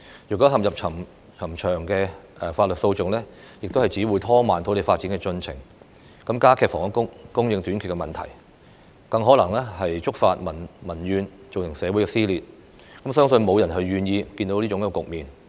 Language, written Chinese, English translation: Cantonese, 若收地工作面對冗長的法律訴訟，只會拖慢土地發展的進程，加劇房屋供應短缺的問題；更可能觸發民怨，造成社會撕裂，我相信沒有人想看到這種局面。, Should land resumption work encounter lengthy lawsuits the process of land development will be obstructed aggravating the problem of housing supply shortage . It may then cause public grievances and even social dissension . I believe that no one wants to see this